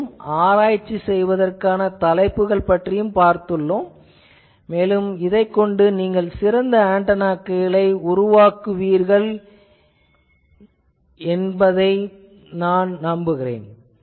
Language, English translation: Tamil, And this is an active area of research hopefully people will come up with better and better antennas after this